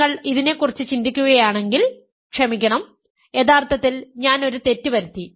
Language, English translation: Malayalam, If you think about this, sorry, so sorry actually I made a mistake